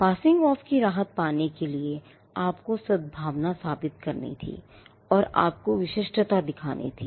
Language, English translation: Hindi, Now, to get a relief of passing off, you had to prove goodwill and you had to show distinctiveness